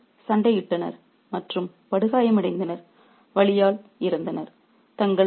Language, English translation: Tamil, Both of them fought on and fatally wounded, died writhing in pain